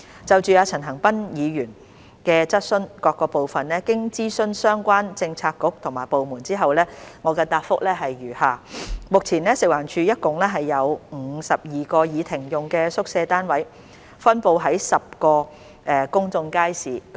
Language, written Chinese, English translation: Cantonese, 就陳恒鑌議員質詢的各部分，經諮詢相關政策局和部門後，我現答覆如下：一目前，食環署轄下共有52個已停用的宿舍單位，分布於10個公眾街市。, In consultation with the relevant bureaux and departments my reply to the various parts of the question raised by Mr CHAN Han - pan is as follows 1 At present there are 52 disused quarters units in 10 public markets under FEHD